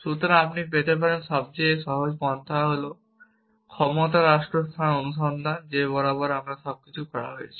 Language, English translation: Bengali, So, the simplest approach as you can get is the power state space search that we have been doing all this along